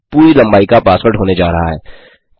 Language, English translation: Hindi, The password is going to be just a full length password